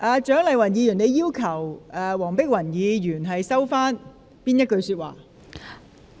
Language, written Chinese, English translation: Cantonese, 蔣議員，你要求黃碧雲議員收回哪一句說話？, Dr CHIANG which remark did you request Dr Helena WONG to withdraw?